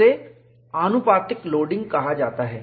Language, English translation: Hindi, This is called proportional loading